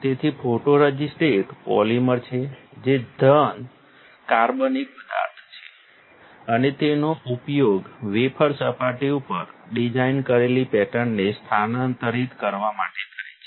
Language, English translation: Gujarati, So, photoresist is a polymer which is solid organic material and is used to transfer the designed pattern to wafer surface